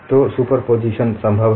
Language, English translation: Hindi, So superposition is possible